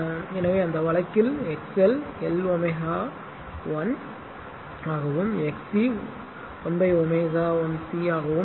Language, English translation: Tamil, So, in that case your XL will be l omega 1 and XC will be 1 upon omega 1 C